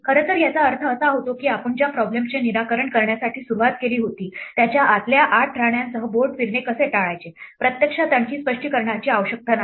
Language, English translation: Marathi, In fact, this means therefore that the problem that we started out to solve namely; how to avoid passing the board around with its inside 8 queens actually requires no further explanation